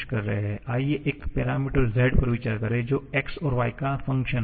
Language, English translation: Hindi, Let us consider a parameter z which is a function of x and y